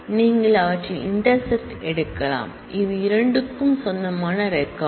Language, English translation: Tamil, You can take their intersection, which is the record which belongs to both